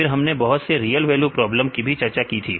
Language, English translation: Hindi, Then again also we discussed about the other real value problems